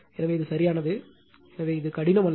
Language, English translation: Tamil, So, this is correct, therefore this is not twisting